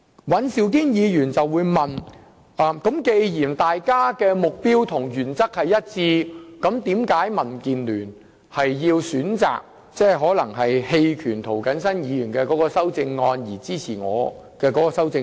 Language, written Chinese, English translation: Cantonese, 尹兆堅議員剛才問到，既然我們的修正案目標和原則一致，為何民主建港協進聯盟要選擇在表決時反對涂謹申議員的修正案，而支持我提出的修正案？, Mr Andrew WAN just asked Given the common objectives and principles of our CSAs why does the Democratic Alliance for the Betterment and Progress of Hong Kong DAB decide to oppose Mr James TOs CSAs but support my CSAs instead?